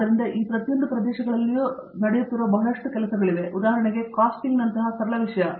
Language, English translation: Kannada, So, in each of these areas there is a lot of work that is going on, for example; simple thing like Casting